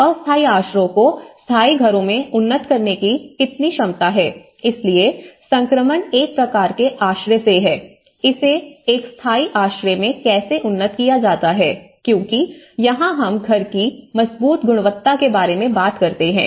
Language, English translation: Hindi, Ability to upgrade temporary shelters into permanent houses, so one is from a kind of transition shelter, how it could be upgraded to a permanent shelter because that is where we talk about the robust quality of the house